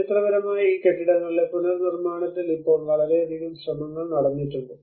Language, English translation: Malayalam, Now a lot of efforts have been taken up in the reconstruction of these historic buildings